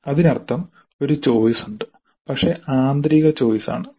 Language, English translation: Malayalam, That means there is a choice but it is internal choice